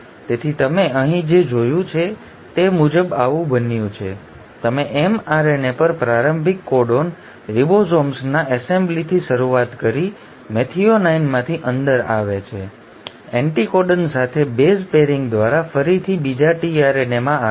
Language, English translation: Gujarati, So this has happened as what you have seen here is, you started with the start codon on the mRNA, assembly of the ribosomes, coming in of methionine, coming in of a second tRNA again through base pairing with anticodon